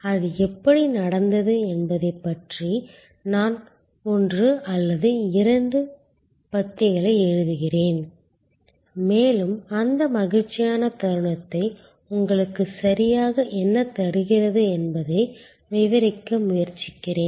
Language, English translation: Tamil, I am write one or two paragraphs about how it happened and try to characterize what exactly give you that joyful moment